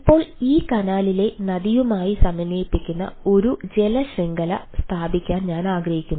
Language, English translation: Malayalam, now, ah, i want to have a merged water network which integrate this canal along with the river